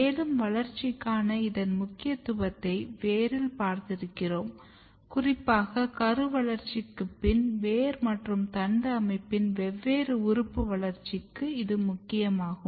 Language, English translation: Tamil, And this is you have seen in root that this is very important for proper growth and development, particularly post embryonic development of different organs in both root system as well as in shoot system